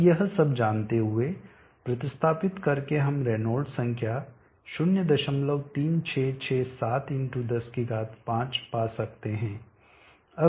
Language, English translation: Hindi, Now knowing all this substituting we can find that Reynolds number is given by 0